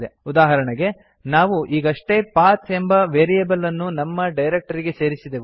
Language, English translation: Kannada, Like we had just added our directory to the PATH variable